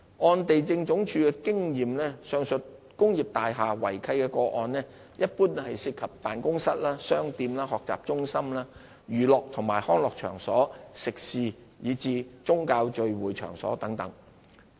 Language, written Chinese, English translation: Cantonese, 按地政總署經驗，上述工業大廈違契個案一般涉及辦公室、商店、學習中心、娛樂及康樂場所、食肆及宗教聚會場所等。, From the experience of LandsD irregularities found in industrial buildings in the cases mentioned above generally involve offices shops learning centres places of entertainmentrecreation restaurants religious gathering places and the like